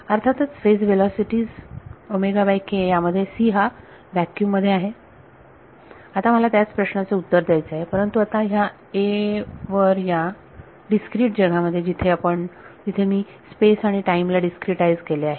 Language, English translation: Marathi, Obviously, the phase velocities omega by k which is c in vacuum; now, I want to answer the same question, but now on a in a discrete world where I have discretized phase and time